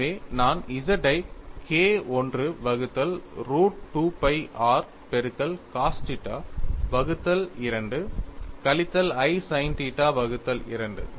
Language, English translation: Tamil, So, I could, so, write this as K 1 by 2 into root of 2 pi r power 3 by 2 cos 3 theta by 2 minus i sin 3 theta by 2;